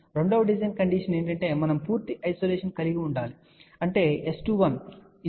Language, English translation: Telugu, The second design condition is we would like to have a complete isolation that means, S 21 is equal to S 12 is equal to 0